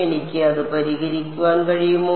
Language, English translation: Malayalam, Can I solve it